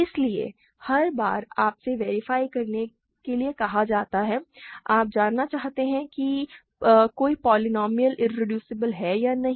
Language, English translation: Hindi, So, every time you are asked to check or you want to know if a polynomial is irreducible or not